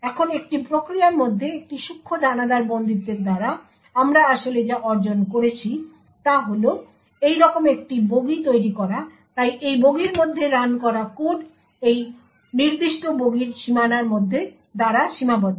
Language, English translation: Bengali, Now with a Fine Grained confinement to within a process what we actually achieved is creating one compartment like this, so code that runs within this compartment is restricted by these boundaries of this particular compartment